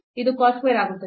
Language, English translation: Kannada, So, we have cos square t